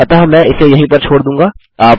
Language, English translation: Hindi, So I will leave it at that